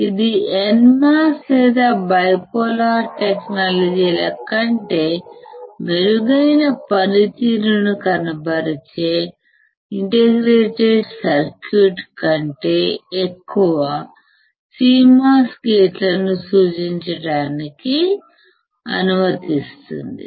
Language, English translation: Telugu, This allows indicating more CMOS gates on an IC, than in NMOS or bipolar technology resulting in a better performance